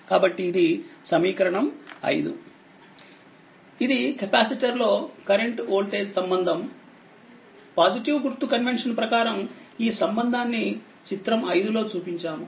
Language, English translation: Telugu, This is the current and voltage relationship for a capacitor, assuming positive sign convention the relationships shown in figure 5